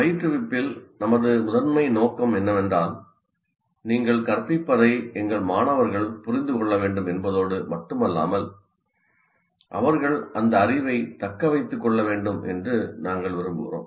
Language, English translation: Tamil, The whole, our major purpose in instruction is we not only want our students to make sense of what you are instructing, but we want them to retain that particular knowledge